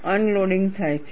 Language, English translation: Gujarati, Unloading takes place